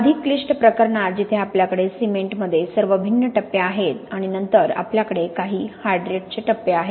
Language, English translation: Marathi, In the more complicated case where we have cement we have all the different phases in cement and then we have some other hydrate phases